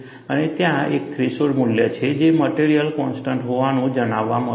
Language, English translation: Gujarati, And there is a threshold value, which is found to be a material constant